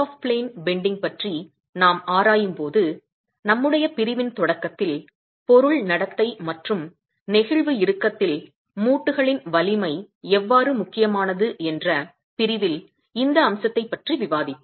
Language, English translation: Tamil, And when we examine out of plane bending, we did discuss this aspect at the beginning of our section in the section on material behavior and how the strength of the joint in flexural tension becomes important